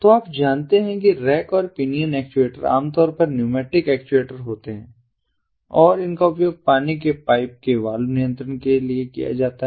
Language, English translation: Hindi, so you know, the rack and pinion actuators are typically the pneumatic actuators and these are used for valve controls of water pipe, water pipes